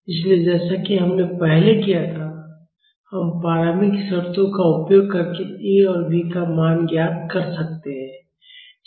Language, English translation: Hindi, So, as we did earlier, we can find the value of A and B using the initial conditions